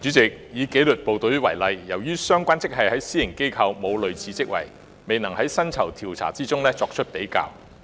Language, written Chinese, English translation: Cantonese, 主席，以紀律部隊為例，由於私營機構並無相類職位，故未能在薪酬調查中作出比較。, President taking the disciplined services as an example comparison cannot be drawn in the pay surveys since there are no comparable posts in the private sector